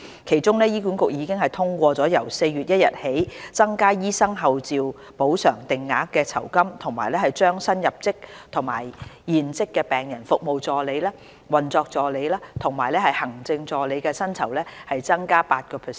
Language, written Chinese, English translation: Cantonese, 其中，醫管局已通過由4月1日起增加醫生候召補償定額酬金和將新入職與現職病人服務助理、運作助理及行政助理的薪酬增加 8%。, Among such measures HA has endorsed the enhancement of the Fixed - rate Honorarium for doctors and a pay rise at 8 % for new recruits and serving staff in respect of Patient Care Assistants Operation Assistants and Executive Assistants with effect from 1 April